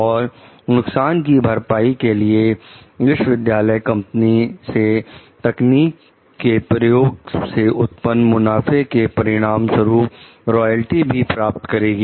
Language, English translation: Hindi, As compensation, the university will also receive a royalty from the company from the profits resulting from the use of the technology